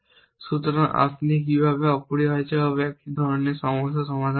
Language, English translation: Bengali, So, how would you solve such a problem essentially